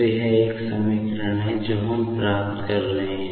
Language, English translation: Hindi, So, this is actually one equation, we will be getting